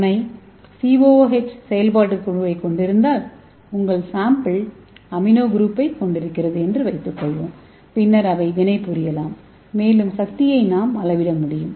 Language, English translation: Tamil, So here you can see here that tip is having this some COOH functional group suppose your sample is having NH2 so it can react and we can measure the force, so this is called as chemical force microscopy